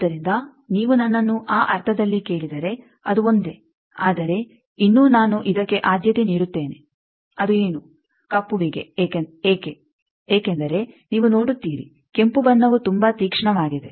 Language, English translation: Kannada, So, if you ask me in that sense it is same, but still I will prefer this, what is that black one why because you see the red one that is very sharp